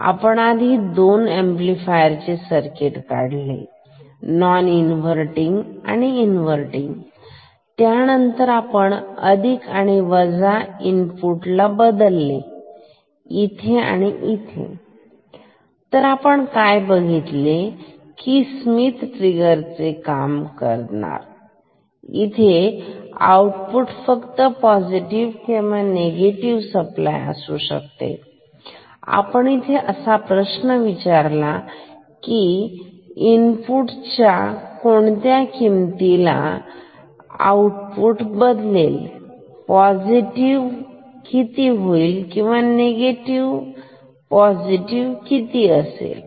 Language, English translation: Marathi, We have drawn initially two amplifier circuits, non inverting and inverting, then we have swept the plus minus inputs here as well as here as well as and we say that this acts as a Schmitt trigger where the output can be only positive or negative positive V supply or negative V supply and we have asked a question that for what value of input the output will change from positive to negative or negative to positive; here as well as here